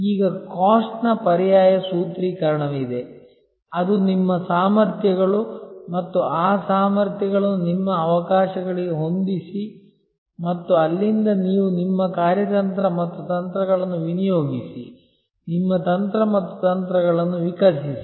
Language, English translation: Kannada, Now, there is an alternative formulation which is COST that is what are your capabilities and match those capabilities to your opportunities and from there you devolve your strategy and your tactics, evolve your strategy and tactics